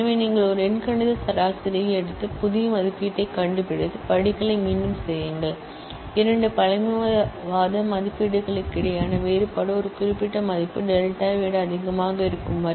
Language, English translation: Tamil, So, you take an arithmetic mean and find the new estimate and repeat the steps, I mean as long as the difference between the two conservative estimates is more than a certain value delta, this is a procedural algorithm, you are giving an algorithm